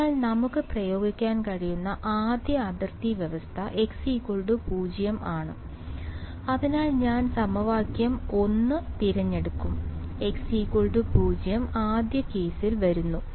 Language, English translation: Malayalam, So, first boundary condition we can apply is at x is equal to 0, so I will choose equation 1 right x x is equal to 0 comes in the 1st case right